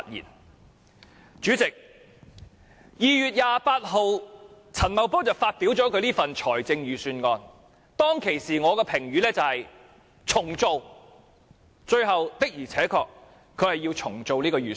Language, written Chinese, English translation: Cantonese, 代理主席，陳茂波在2月28日發表這份預算案，當時我的評語是要"重做"，最後他確實要"重做"這份預算案。, Deputy President when Paul CHAN delivered the Budget on 28 February my comment was that he had to redo it and eventually he really had to redo the Budget